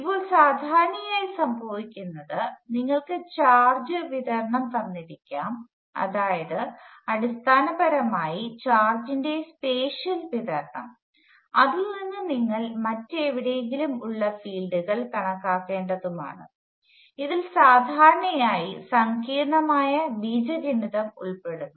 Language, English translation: Malayalam, Now, usually what happens is you are given charge distribution basically the spatial distribution of charge and from that you have to calculate the fields elsewhere, and this usually involves a lot of complicated algebra